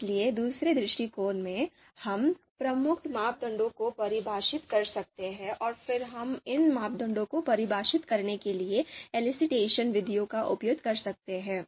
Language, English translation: Hindi, So second approach, so what we can do is we can define key parameters and then we can use elicitation methods to define these parameters